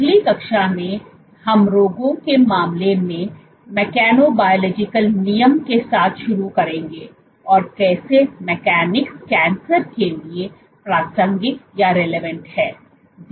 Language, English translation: Hindi, In the next class, we will get started with mechanobiological regulation in case of diseases will start with cancer and how mechanics is relevant to cancer